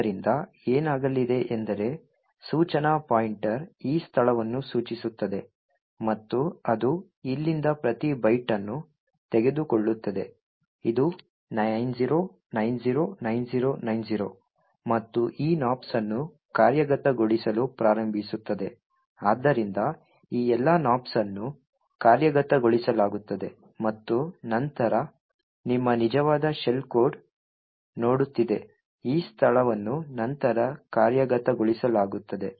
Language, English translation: Kannada, So what is going to happen is that the instruction pointer would point to this location and it would pick up each byte from here this is 90909090 and start executing this Nops so all of this Nops gets executed and then your actual shell code which is staring at this location would then get executed